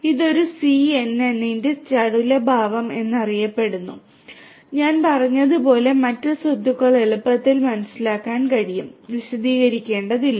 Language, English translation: Malayalam, This is known as the agility property of a DCN and the other properties as I said are easily understood and I do not need to elaborate further